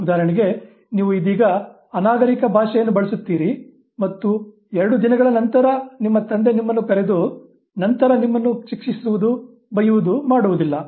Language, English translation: Kannada, It is not that you for instance use a slang right now and after two days your father calls you and then punishes you, scolds you